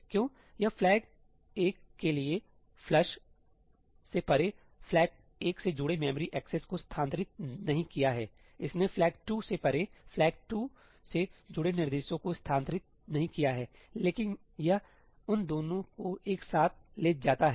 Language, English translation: Hindi, Why it has not moved memory accesses involving Flag1 beyond the flush for Flag1, it has not moved instructions involving Flag2 beyond the flush for Flag2, but itís move them both together